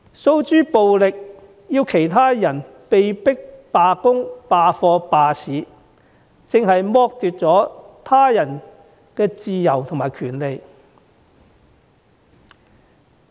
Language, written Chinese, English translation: Cantonese, 訴諸暴力，迫其他人罷工、罷課、罷市，正是剝奪了他人的自由和權利。, The use of violence to force employees students and the business sector to go on strike is just equivalent to depriving others of their rights and freedoms